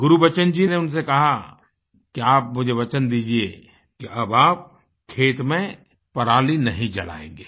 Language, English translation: Hindi, Gurbachan Singh ji asked him to promise that they will not burn parali or stubble in their fields